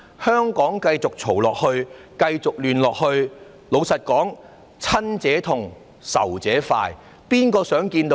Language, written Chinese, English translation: Cantonese, 香港如果繼續吵鬧、繼續亂，老實說，"親者痛，仇者快"，誰想看到這種情況？, If Hong Kong continues to squabble and remains chaotic frankly speaking this will gladden our enemies and sadden our allies so who wants to see such a situation?